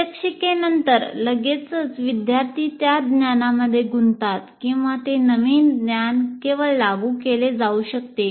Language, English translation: Marathi, That means you are immediately after demonstration, the students are engaging with that knowledge or it could be just apply